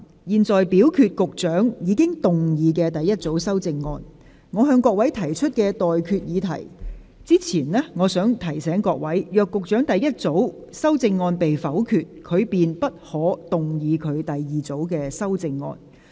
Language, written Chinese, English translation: Cantonese, 我就局長的第一組修正案提出待決議題前，我想提醒各位，若局長的第一組修正案被否決，他便不可動議他的第二組修正案。, Before putting to you the question I wish to remind Members that if the Secretarys first group of amendments are negatived he may not move his second group of amendments